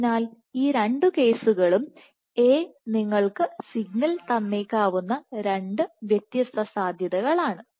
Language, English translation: Malayalam, So, this would suggest that both these cases are 2 possibilities in which A has somehow given your signal ok